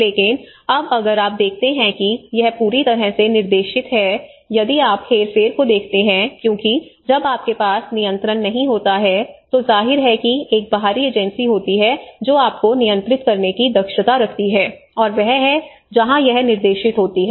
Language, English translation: Hindi, But now if you see if you when it is guided completely you know when you do not have, if you look at the manipulation because when you do not have a control, obviously there is an external agency which have an efficiency to control you and that is where it becomes a guided